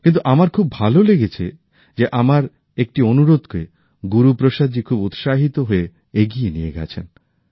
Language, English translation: Bengali, But I felt nice that Guru Prasad ji carried forward one of my requests with interest